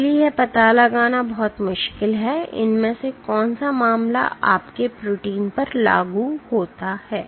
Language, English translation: Hindi, So, there is very it is very difficult to find out which of these case applies to your protein